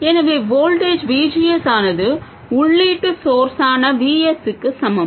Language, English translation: Tamil, So the voltage VGS simply equals the input source VS